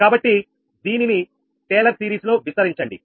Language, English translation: Telugu, we expand in taylor series, right